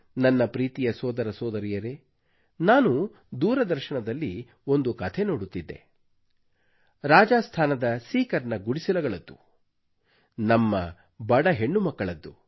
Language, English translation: Kannada, My dear brothers and sisters, I was watching a story on TV about our underprivileged daughters of certain slums in Sikar, Rajasthan